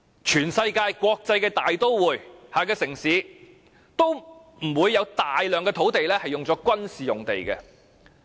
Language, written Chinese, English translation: Cantonese, 全世界的國際大都會及城市，都不會有大量土地用作軍事用地。, No major cities in the world would reserve such a large area of land for military use